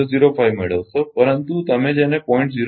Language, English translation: Gujarati, 005, but not your what you call not 0